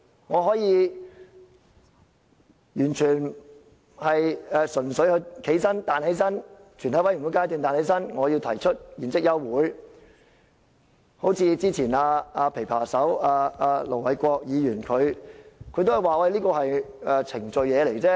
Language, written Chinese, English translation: Cantonese, 我可以在全體委員會階段站起來說，我要提出現即休會待續議案，好像之前"琵琶手"盧偉國議員也說，這是程序而已。, I will still be allowed to rise and propose an adjournment motion when the Council is in Committee . Like what the pipa player Ir Dr LO Wai - kwok said earlier this is just a matter of procedure